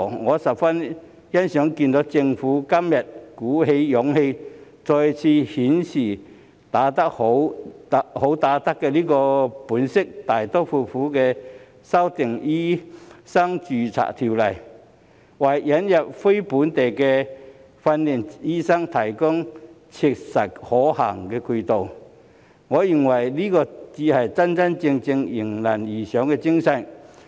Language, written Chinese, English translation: Cantonese, 我十分欣賞政府今天能鼓起勇氣，再次顯示"好打得"的本色，大刀闊斧地修訂條例，為引入非本地訓練醫生提供切實可行的渠道，我認為這才是真正迎難而上的精神。, The public miserably encountered difficulties in seeking medical consultation and patients were tormented by sickness . I really appreciate the Governments showing courage today and demonstrating once again that it is a good fighter when it drastically amends the legislation to provide a practical channel for the admission of NLTDs